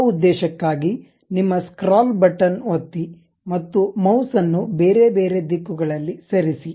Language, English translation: Kannada, For that purpose you click your scroll button, click and move the mouse in different directions ok